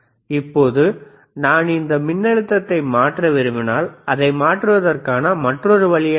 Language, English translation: Tamil, Now if I want to change this voltage, if I want to change this voltage, what is the another way of changing it